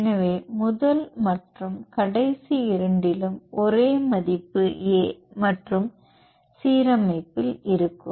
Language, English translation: Tamil, So, in both first and last will have the same value A and in the in the alignment